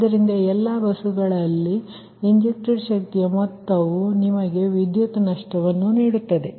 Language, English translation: Kannada, that means that some of injected power at all buses will give you the power loss